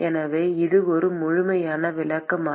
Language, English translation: Tamil, So, is this is a complete description